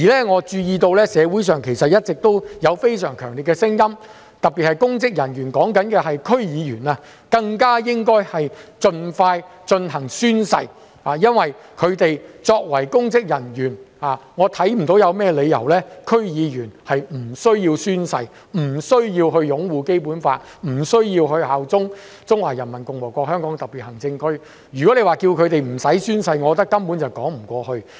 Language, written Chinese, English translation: Cantonese, 我注意到社會上其實一直有非常強烈的聲音，特別是公職人員——我指的是區議會議員——更應盡快進行宣誓，因為區議員作為公職人員，我看不到他們有何理由不需要宣誓、不需要擁護《基本法》、不需要效忠中華人民共和國香港特別行政區，我認為不用他們宣誓，根本說不過去。, I have noted a consistently strong voice in society that public officers in particular―I mean District Council members―should take the oath as soon as practicable because I fail to see why District Council members in their capacity as public officers should not be required to take oath to uphold the Basic Law and pledge allegiance to the Hong Kong Special Administrative Region of the Peoples Republic of China . I consider there is no justification for not requiring them to take the oath . We just want the Government to expeditiously clarify matters and get to the bottom of things